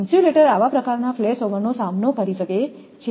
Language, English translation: Gujarati, The insulator can withstand such kind of flashover